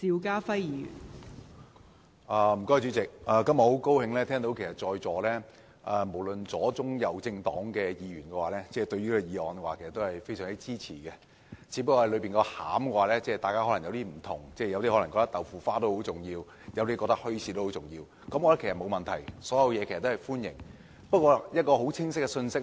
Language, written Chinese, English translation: Cantonese, 代理主席，我今天很高興聽到在座無論左、中、右政黨的議員對此議案都非常支持，只是大家側重的內容有所不同，有些人可能覺得豆腐花很重要，有些則覺得墟市很重要，我覺得都沒有問題，所有意見都是歡迎的。, Deputy President today I am glad to see that all Members of leftist centralist and rightist political parties present at the meeting support this motion; they only differ in the areas of attention . While some Members find bean curd pudding very important others consider bazaars very important . I think that is acceptable and all views are welcome